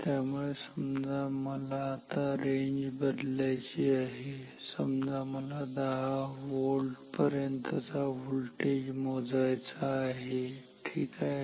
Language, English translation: Marathi, So, suppose so now range changing, suppose I want to measure up to 10 volt; up to 10 volt voltage ok